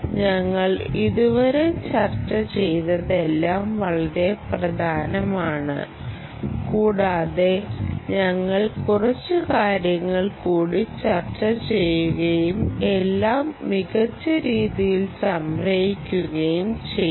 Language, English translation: Malayalam, whatever we have discussed till now are very important and we will discuss a few more points and summarize everything in a nice way